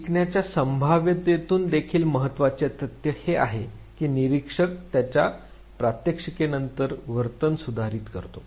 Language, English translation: Marathi, Important also from the learning prospective is the fact that the observer modifies behavior after demonstration of it